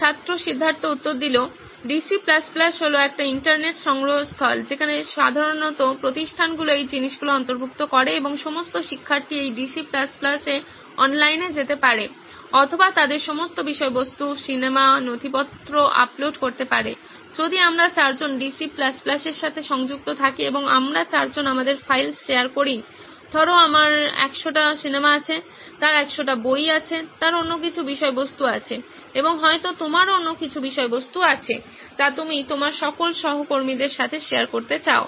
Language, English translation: Bengali, Student Siddhartha: DC++ is a intranet repository where, usually institutes incorporate this thing and all the students can go online into this DC++ either upload all their content say movies, documents anything since if we four of us are connected to DC++ and we four are sharing our files, say I have hundred movies, he has hundred books, he has some other content and you might be having some other content which you want to share it with all your peers